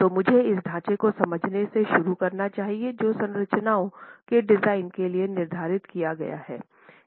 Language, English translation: Hindi, So let me begin by understanding this framework that is laid out for design of structures